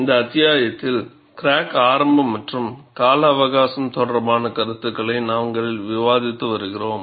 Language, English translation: Tamil, We have been discussing concepts related to crack initiation and life estimation in this chapter